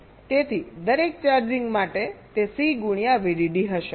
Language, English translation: Gujarati, so for every charging it will be c into v